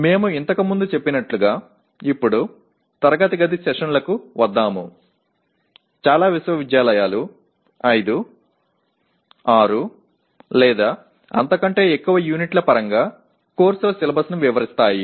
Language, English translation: Telugu, Now coming to the classroom sessions as we stated earlier many universities describe the syllabi of the courses in terms of 5, 6 or more units